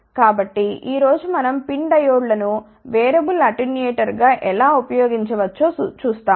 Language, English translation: Telugu, So, today we will see how PIN diodes can be used as variable attenuator